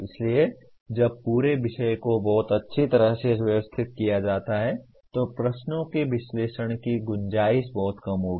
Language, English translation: Hindi, So when the whole subject is very well organized the scope for analyze questions will be lot less